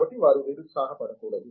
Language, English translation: Telugu, So, they should not get discouraged